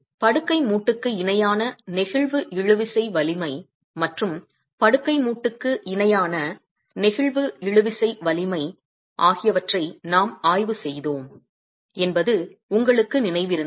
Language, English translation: Tamil, If you remember we examined, flexible tensile strength normal to the bed joint and flexual tensile strength parallel to the bed joint